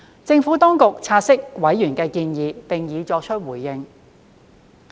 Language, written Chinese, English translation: Cantonese, 政府當局察悉委員的建議並已作出回應。, The Administration had taken note of and responded to members suggestions